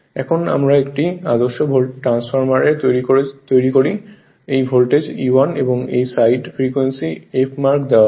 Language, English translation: Bengali, Now we make an ideal transformer right same thing these the voltage E 1 and this this side is frequency F frequency is given mark is f right